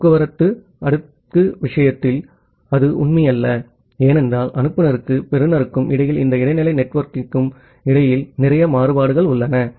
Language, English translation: Tamil, But that is not true for the transport layer, in case of transport layer because there are lots of variability in between this intermediate network between the sender and the receiver